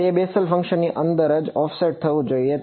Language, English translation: Gujarati, It should be offset inside the Bessel function itself